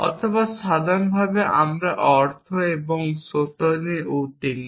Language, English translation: Bengali, Or in general we are concern with meaning and truth